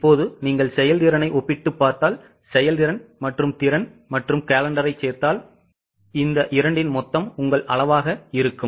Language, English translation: Tamil, Now if you compare efficiency, if you compare efficiency, if you add efficiency plus capacity plus calendar, the total of these two will be your volume